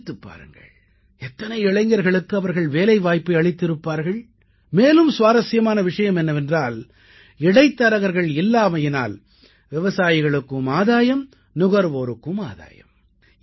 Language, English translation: Tamil, You just think, how many youth did they employed, and the interesting fact is that, due to absence of middlemen, not only the farmer profited but the consumer also benefited